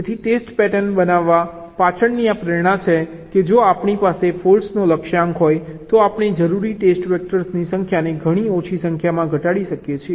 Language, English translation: Gujarati, so this is the motivation behind test pattern generation, that if we have a target set of faults we can reduce the number of test factors required drastically